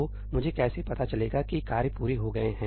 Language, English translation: Hindi, So, how do I know that the tasks have completed